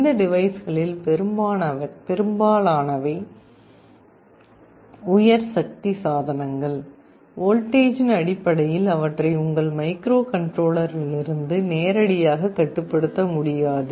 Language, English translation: Tamil, Most of these devices are high power devices, you cannot directly control them from your microcontroller in terms of voltages